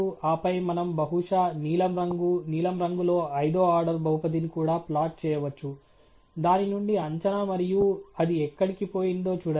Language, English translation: Telugu, And then we can also plot, maybe, on blue in color blue; the prediction from the fifth order polynomial and see where it has gone